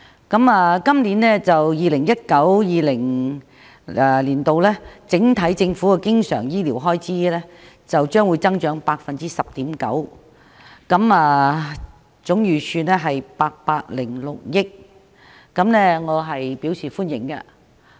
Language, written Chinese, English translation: Cantonese, 政府在 2019-2020 財政年度醫療方面的經常開支預算將會增加 10.9%， 總開支預算為806億元，我對此表示歡迎。, I welcome that the estimated recurrent government expenditure on health care for the 2019 - 2020 financial year will increase by 10.9 % and the total estimated expenditure is 80.6 billion